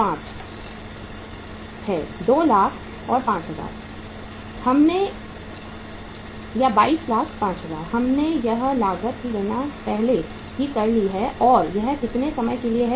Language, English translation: Hindi, 22,05,000 we have calculated this cost already and it is for how much period of time